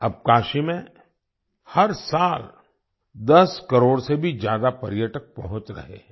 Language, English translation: Hindi, Now more than 10 crore tourists are reaching Kashi every year